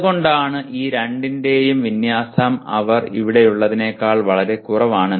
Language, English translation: Malayalam, So that is why the alignment of these two is lot less than if they are here